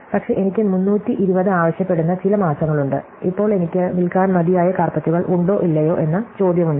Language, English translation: Malayalam, But, there are some months where I would have a demand for 320 and now the question of whether I have enough carpets to sell or not